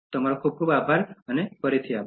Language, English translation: Gujarati, Thank you so much, thanks again